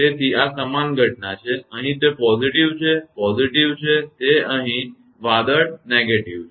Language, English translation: Gujarati, So, this is similar phenomena; here it is positive, positive, here it is; the cloud is negative